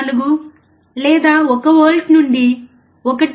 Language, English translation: Telugu, 04 or 1 volt to 1